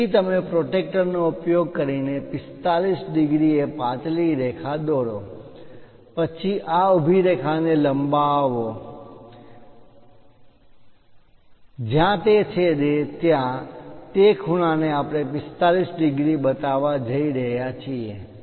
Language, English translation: Gujarati, So, you draw a 45 degrees using protractor as a thin line, then project this vertical line so, wherever it intersects, that angle we are going to show as 45 degrees